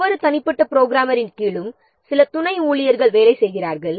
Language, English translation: Tamil, And under each individual programmer, there are some subordinate staffs are working